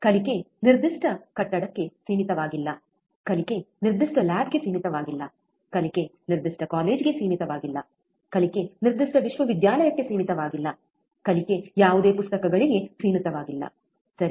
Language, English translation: Kannada, Learning is not restricted to a particular building, learning is not restricted to a particular lab, learning is not restricted to a particular college, learning is not restricted to particular university, learning is not restricted to any books also, right